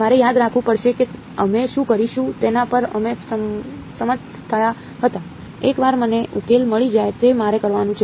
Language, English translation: Gujarati, I have to remember we had agreed on what we will do, once I have got the solution all that I have to do is